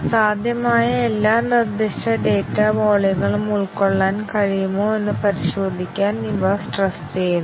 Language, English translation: Malayalam, These are stressed to check if they can accommodate all possible specified data volumes